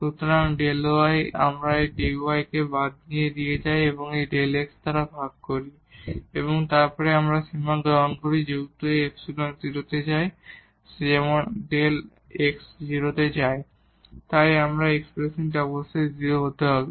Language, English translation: Bengali, So, the delta y and we take this dy to the left and divided by this delta x and then take the limit since this epsilon goes to 0 as delta x goes to 0